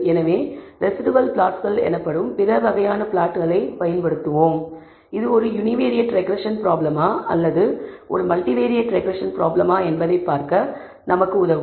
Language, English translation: Tamil, So, we will use other kinds of plots called residual plots, which will enable us to do this whether it is a univariate regression problem or a multivariate regression problem, we will see what these are